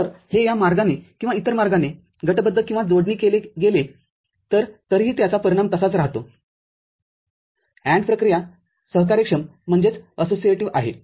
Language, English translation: Marathi, So, whether this grouping or association is done this way or the other way, result remains the same so, AND operation is associative